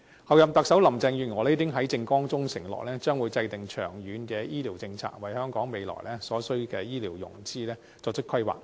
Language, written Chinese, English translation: Cantonese, 候任特首林鄭月娥已在政綱中承諾，將會制訂長遠醫療政策，為香港未來所需的醫療資源作出規劃。, The Chief Executive - elect Carrie LAM has undertaken in her manifesto that long - term medical policies will be formulated to make planning for the medical resources required by Hong Kong in the future